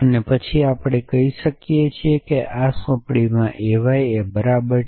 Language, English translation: Gujarati, And then we can say that in this assignment a y is equal to something